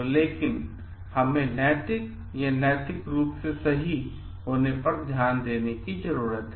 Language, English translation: Hindi, So, it is not like what is correct, but we need to focus on what is morally or ethically correct